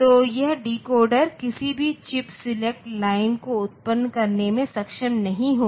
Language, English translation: Hindi, So, this decoder will not be able to generate any chip select lines